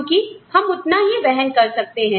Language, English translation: Hindi, Because, we can afford, to do so